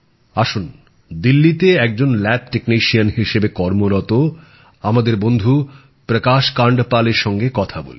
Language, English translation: Bengali, So now let's talk to our friend Prakash Kandpal ji who works as a lab technician in Delhi